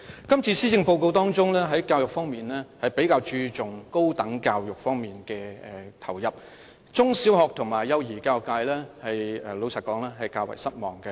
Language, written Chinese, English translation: Cantonese, 這次施政報告，在教育方面比較注重投入資源於高等教育方面，坦白說，中、小學及幼兒教育界感到較為失望。, The Policy Address this year places a greater emphasis on putting education resources to higher education . Honestly the secondary primary and early childhood education sectors are rather disappointed